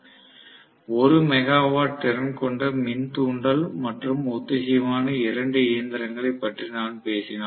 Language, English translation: Tamil, So, I say that 1 megawatt synchronous machine and 1 megawatt induction machine